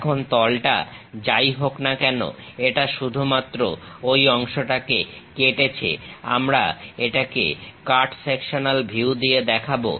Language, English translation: Bengali, Now, the plane whatever it cuts that part only we will show it by cut sectional view